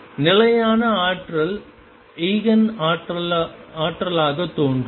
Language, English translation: Tamil, And the energies that I stationary energies appear as Eigen energy